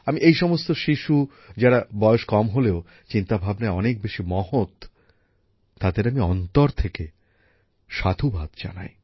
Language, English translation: Bengali, I heartily appreciate all these children who are thinking big at a tender age